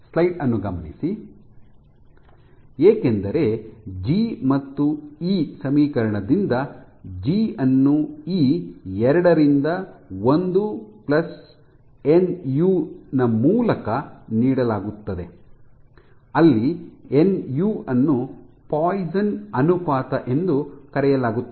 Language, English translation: Kannada, This is because G and E are connected by the equation g is given by E by 2 times 1 + nu, where nu is called the Poisson ratio, and what is Poisson’s ratio